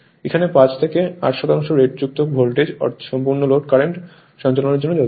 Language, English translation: Bengali, Now, in this case 5 to 8 percent of the rated is required to allow that your full load current or your rated current